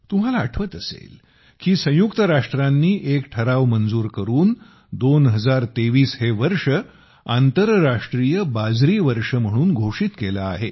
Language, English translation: Marathi, You will remember that the United Nations has passed a resolution declaring the year 2023 as the International Year of Millets